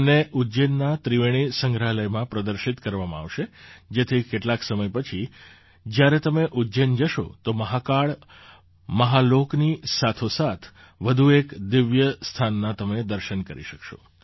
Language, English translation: Gujarati, These will be displayed in Ujjain's Triveni Museum… after some time, when you visit Ujjain; you will be able to see another divine site along with Mahakal Mahalok